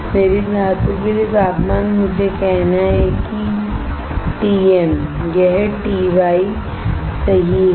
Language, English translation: Hindi, Temperature for my metal let me say TM this is TY, right